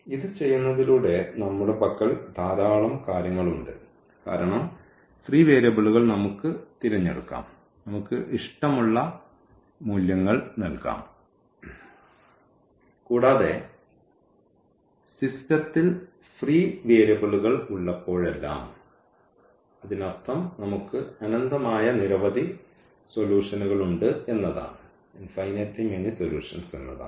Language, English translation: Malayalam, By doing this now, we have so many things in hand because free variables means we can choose, we can give the values whatever we like and whenever we have free variables in the system ah; that means, we have infinitely many solutions